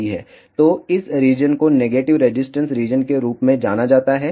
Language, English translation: Hindi, So, this region is known as negative resistance region